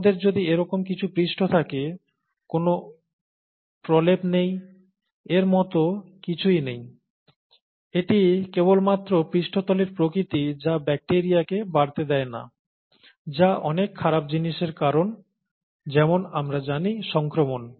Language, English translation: Bengali, If we have some such surface, there is no coating, nothing like that, it's just the nature of the surface, that does not allow bacteria which causes a lot of bad things as we know, infections, that does not allow bacteria to grow on it's surface